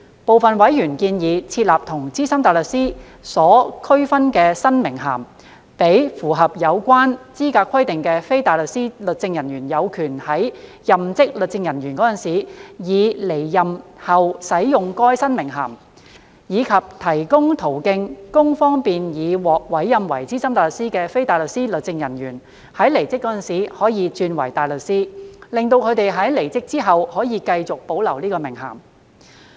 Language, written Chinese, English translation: Cantonese, 部分委員建議設立與"資深大律師"有所區分的新名銜，讓符合有關資格規定的非大律師律政人員有權在任職律政人員時以至離任後使用該新名銜，以及提供途徑方便已獲委任為資深大律師的非大律師律政人員，在離職時可以轉為大律師，使他們在離職後可繼續保留該名銜。, Some members suggested that a new title distinctive from Senior Counsel should be created and those legal officers who satisfied the eligibility requirements should be entitled to use that new title during and after they left office as legal officers . Moreover a channel should be provided to facilitate those legal officers who had been appointed as SC to switch to the barristers stream after leaving office thus enabling them to retain that title continuously